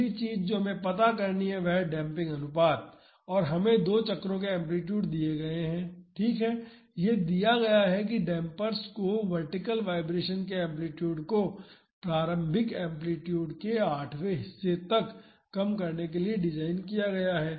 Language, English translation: Hindi, The next thing we have to find out is the damping ratio and it is given the amplitudes of two cycles, right; it is given that the dampers are designed to reduce the amplitude of vertical vibration to one eighth of the initial amplitude